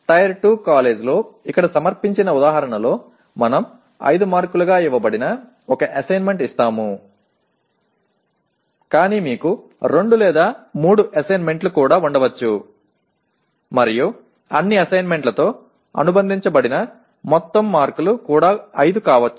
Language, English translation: Telugu, Let us say in the example presented here in a Tier 2 college, I give one assignment which is given as 5 marks but you can also have 2 or 3 assignments and the total marks associated with all the assignments could also be 5